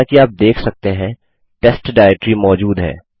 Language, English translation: Hindi, As you can see the test directory exists